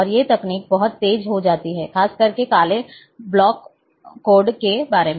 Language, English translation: Hindi, And these techniques becomes much faster, especially about black block codes